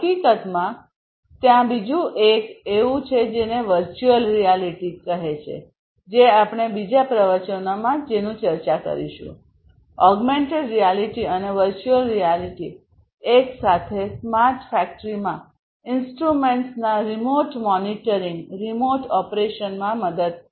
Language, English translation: Gujarati, In fact, there is another one which is the virtual reality, that also we have discussed in another lecture, augmented reality and virtual reality together will help in remote monitoring, remote operations of instruments in a smart factory